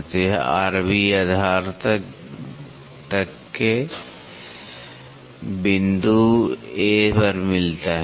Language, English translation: Hindi, So, this r b meets at up to the base at a point A